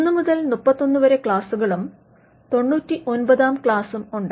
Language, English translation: Malayalam, There are classes 1 to 31 and class 99